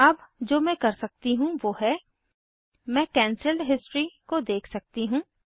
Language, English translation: Hindi, So again now what I can do is, I can look at cancel the history